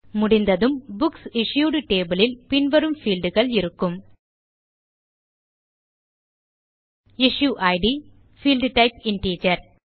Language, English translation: Tamil, When done, the Books Issued table will have the following fields: Issue Id, Field type Integer